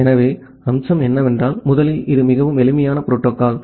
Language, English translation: Tamil, So, the feature is that first of all it is a very simple protocol